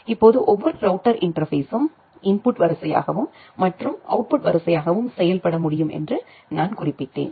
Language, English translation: Tamil, Now, as I mentioned that every router interface can work as an input queue as well as an output queue